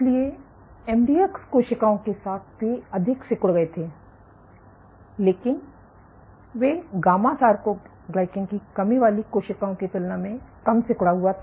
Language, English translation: Hindi, So, with in MDX cells they were more contractile, but they were less contractile than gamma soarcoglycan deficient cells